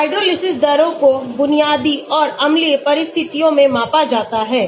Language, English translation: Hindi, Hydrolysis is measured under basic and acidic condition